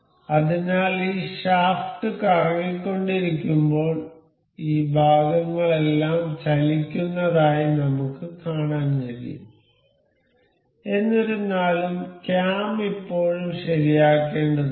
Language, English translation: Malayalam, So, we can see as the this shaft is rotating all of these parts are moving; however, the cam is still need to be fixed